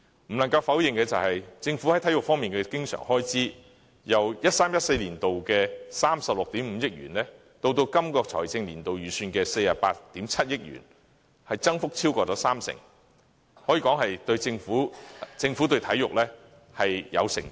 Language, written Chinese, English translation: Cantonese, 不能夠否認的是，政府在體育方面的經常性開支，由 2013-2014 年度的36億 5,000 萬元增加至本財政年度預算的48億 7,000 萬元，增幅超過三成，可以說政府對體育是有承擔的。, Indeed the Governments recurrent expenses on sports have risen from 3.65 billion in 2013 - 2014 to 4.87 billion as budgeted in the current financial year by more than 30 % . The Government is evidently committed to sports development